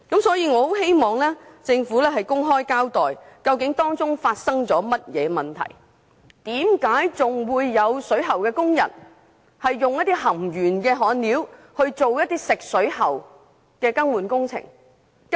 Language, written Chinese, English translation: Cantonese, 所以，我很希望政府公開交代當中究竟發生了甚麼問題，為何還有水喉工人使用含鉛焊料進行食水喉更換工程？, We thus very much hope that the Government can disclose what actually went wrong in this recent incent . Why did plumbers still use a leaded soldering material in the water pipe replacement works?